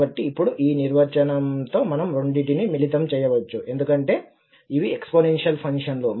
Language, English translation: Telugu, So, with this definition now we can club the two because these are the exponential functions